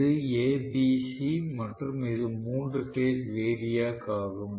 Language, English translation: Tamil, So, this A B C and this is the three phase variac